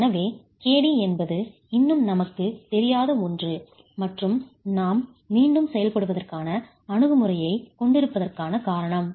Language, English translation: Tamil, So KD is something we still don't know and is the reason why we need to have an iterative approach